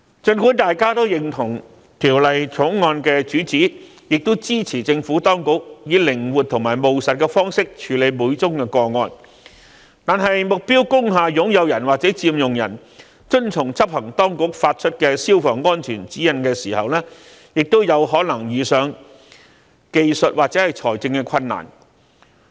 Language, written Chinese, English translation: Cantonese, 儘管大家也認同《條例草案》的主旨，亦支持政府當局以靈活和務實的方式處理每宗個案，但目標工廈擁有人或佔用人遵從執行當局發出的消防安全指引時，亦有可能遇上技術或財政困難。, Although members acknowledge the objective of the Bill and support the Administration in adopting a flexible and pragmatic approach in dealing with each case they are concerned that in complying with the fire safety direction issued by the enforcement authorities owners or occupiers of target industrial buildings may encounter technical or financial difficulties